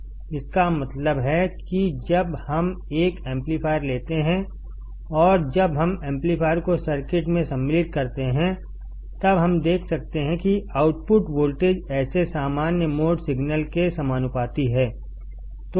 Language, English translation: Hindi, It means that when we take an amplifier and when we insert the amplifier in the circuit; then we can see that the output voltage is proportional to such common mode signal